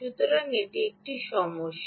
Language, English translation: Bengali, ok, so that is a problem